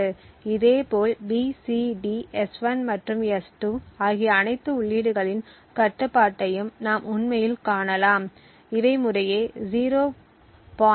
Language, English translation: Tamil, Similarly, we can actually find the control of all other inputs B, C, D, S1 and S2 and these happen to be 0